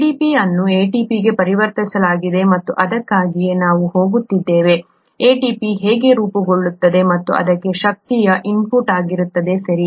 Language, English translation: Kannada, ADP gets converted to ATP and that’s what we are going to, that’s how ATP gets formed and that would require input of energy, okay